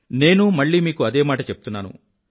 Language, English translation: Telugu, I am reiterating the same, once again